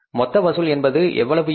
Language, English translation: Tamil, Total collections here are going to be how much